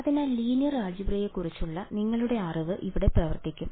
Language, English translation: Malayalam, So, here is where your knowledge of linear algebra will come into play